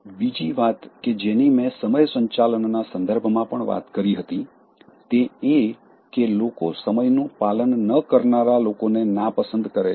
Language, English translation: Gujarati, The other thing that I talked, even in terms of managing time, people dislike those who never keep time